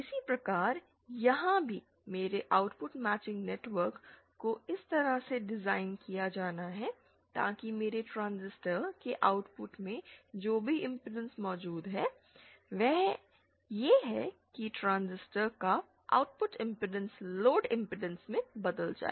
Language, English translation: Hindi, Similarly here also my output matching network has to be designed in such a way so that my at the output of the transistor whatever impedance exists, that is the output impedance of the transistor is converted to the load impedance